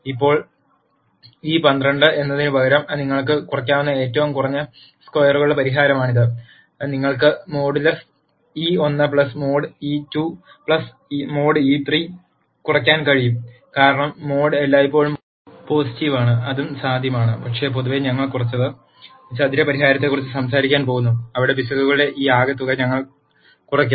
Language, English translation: Malayalam, Now, this is the least squares solution you could also minimize instead of e I squared, you can minimize modulus e 1 plus mod e 2 plus mod e 3, because mod is always positive; that is also possible, but in general we are going to talk about least square solution where we minimize this sum of squares of errors